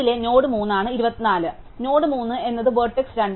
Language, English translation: Malayalam, So, node 3 is vertex 2